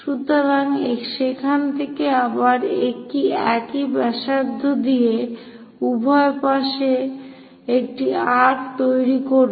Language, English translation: Bengali, So, from there again with the same radius make an arc on both sides